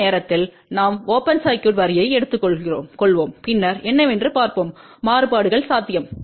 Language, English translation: Tamil, This time we will take the open circuited line and then will also look at what are the variations possible